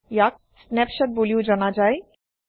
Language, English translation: Assamese, This is also known as a snapshot